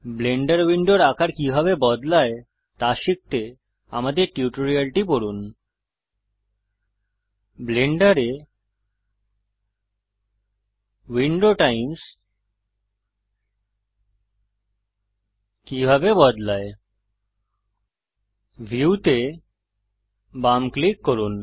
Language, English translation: Bengali, To learn how to resize the Blender windows see our tutorial How to Change Window Types in Blender Left click View